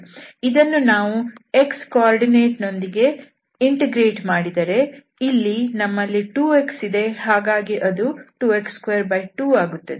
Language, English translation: Kannada, So, if we integrate this partially with respect to x, then what we will get here we have 2 x